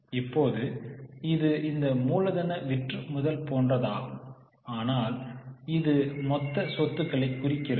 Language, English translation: Tamil, Now this is similar to this working capital turnover but this refers to the total assets